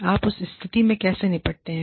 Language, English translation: Hindi, How do you deal with that situation